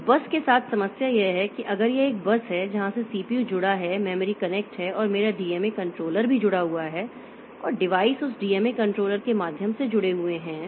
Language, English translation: Hindi, So, the problem with the bus is that your so if this is a bus from where this CPU is connected the memory is connected and my DMA controller is also connected and the devices are connected by so the DMA controller